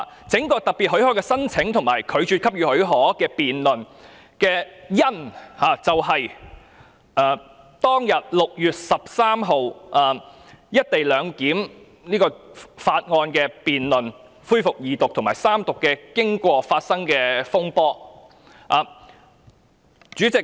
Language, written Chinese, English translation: Cantonese, 這項有關特別許可申請及拒絕給予許可的議案的"因"，就是6月13日就《廣深港高鐵條例草案》二讀恢復辯論及三讀的經過，以及當中發生的風波。, The cause of this application for special leave or this motion on refusing to give leave is the proceedings of the resumption of the Second Reading debate and the Third Reading on the Guangzhou - Shenzhen - Hong Kong Express Rail Link Co - location Bill on 13 June and the turmoil that happened during the time